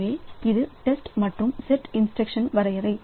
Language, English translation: Tamil, So, this is the test and set instruction definition